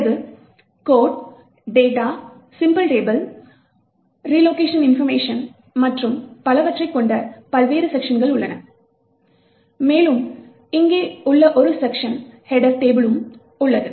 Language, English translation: Tamil, Then you have various sections which contain the code, the data, the symbol table, relocation information and so on and you also have a section header table